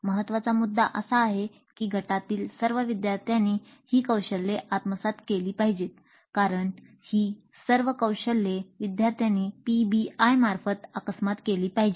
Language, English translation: Marathi, The important point is that all the learners in the group must acquire these skills because these are all part of the skills that the learners are supposed to acquire through the PBI